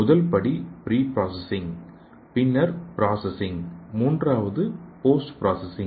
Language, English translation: Tamil, The first step is pre processing, next one is processing and third one is post processing